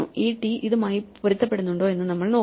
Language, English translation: Malayalam, We will look at whether this t matches that t it is that